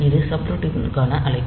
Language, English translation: Tamil, So, this is the call to the subroutine